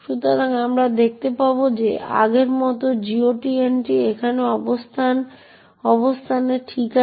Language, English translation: Bengali, So, we will see that the GOT entry as before is at the location here okay